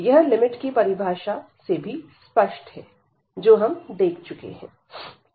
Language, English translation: Hindi, So, this is also clear from the limit definition, which we have seen